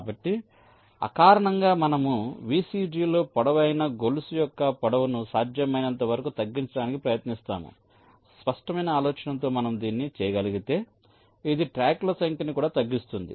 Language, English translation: Telugu, so so, intuitively, we try to minimize the length of the longest chain in the vcg as much as possible, with the intuitive idea that if we are able to do it, this will also reduce the number of tracks